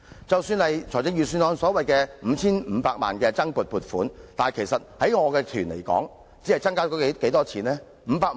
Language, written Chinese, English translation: Cantonese, 即使財政預算案增加了 5,500 萬元的撥款，但以我的藝團為例，實際上可獲增撥多少資助？, Although it is proposed in the Budget that an additional funding of 55 million will be provided what exactly is the amount of additional funding to be allocated to the arts group to which I belong?